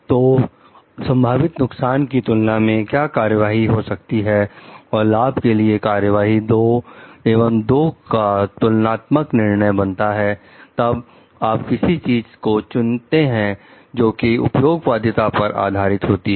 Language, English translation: Hindi, And what are the of action one compared to the potential harms and benefits of the action 2 and then making a comparative judgment then if you are choosing something based on that that is utilitarianism